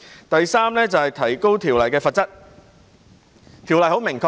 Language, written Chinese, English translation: Cantonese, 第三，是提高條例的罰則。, Third The Bill seeks to increase the penalty upon conviction